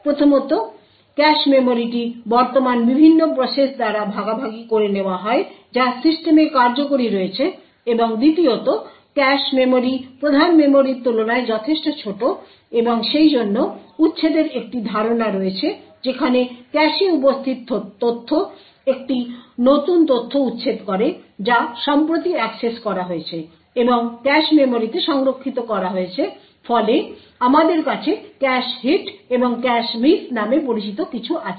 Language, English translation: Bengali, First, the cache memory is shared by various processes present which is executing on the system and secondly the cache memory is considerably smaller than the main memory and therefore there is a notion of eviction wherein the data present in the cache is evicted a new data which is recently accessed is stored in the cache memory so as a result we have something known as cache hits and cache misses